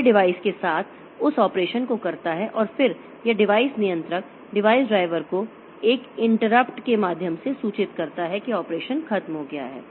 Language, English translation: Hindi, It does that operation with the device and then it informs the device controller device driver via and interrupt that the operation is over